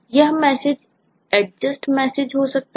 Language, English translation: Hindi, so this will be messages like adjust